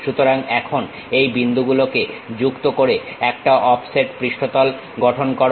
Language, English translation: Bengali, So, now, join those points construct an offset surface